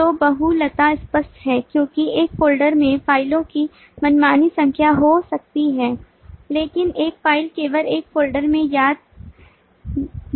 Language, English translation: Hindi, so the multiplicity is clear because the folder can contain arbitrary number of files but a file can remind only in one folder